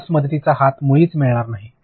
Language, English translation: Marathi, You will not have helping hands at all